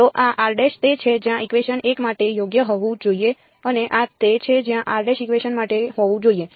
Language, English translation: Gujarati, So, this is where r prime should be right for equation 1 and this is where r prime should be for equation